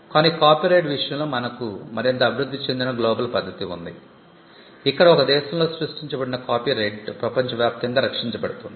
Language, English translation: Telugu, But in the case of copyright we have a much more evolved global convention where copyright created in one country is protected across the globe